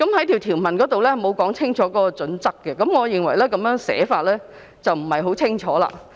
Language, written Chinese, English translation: Cantonese, 條文並無清楚說明有關準則，我認為這種寫法不太清晰。, The provisions did not explicitly set out the relevant criteria . I consider the drafting not clear enough